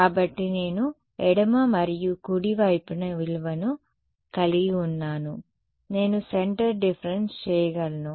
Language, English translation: Telugu, So, that I have a value on the left and the right I can do centre differences